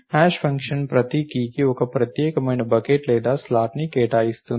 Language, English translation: Telugu, A hash function will assign each key to a unique bucket or slot